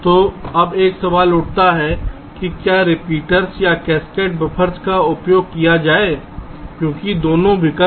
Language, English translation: Hindi, so now the question arises whether to use repeaters or cascaded buffers, because both the options are there